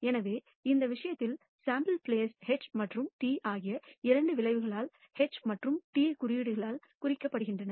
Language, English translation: Tamil, So, in this case the sample space consists of these two outcomes H and T denoted by the symbols H and T